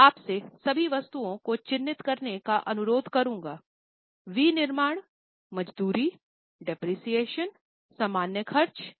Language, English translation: Hindi, I will request you to mark all the items, manufacturing, wages, depreciation, general expenses and so on